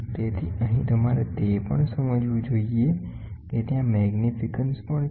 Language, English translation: Gujarati, So, here you should also understand there are magnifications also there